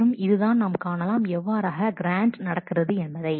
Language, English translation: Tamil, And this is where we are showing that how the grants are happening